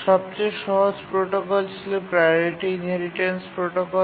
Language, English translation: Bengali, The simplest protocol was the priority inheritance protocol